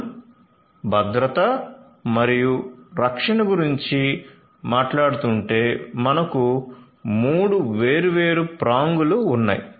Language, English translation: Telugu, So, if we are talking about safety and security, there are three different prongs